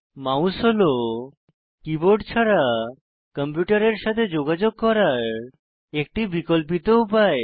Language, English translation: Bengali, The computer mouse is an alternative way to interact with the computer, besides the keyboard